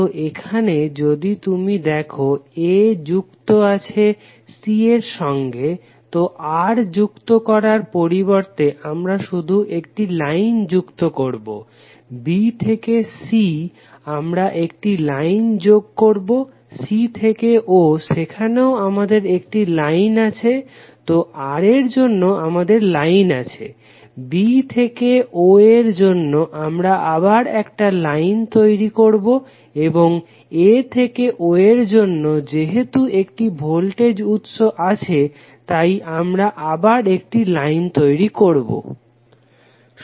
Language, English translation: Bengali, So here if you see a is connected to c, so instead of adding R we are simply adding the line, a is connected to c then between ab resistor R, so we are again creating a line, b to c we are connecting the line, c to o that is again we have one line, so for this R it is the line, for b to o we are again creating the line and between a to o because this is the voltage source we are again creating the line